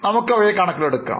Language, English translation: Malayalam, We will just take into account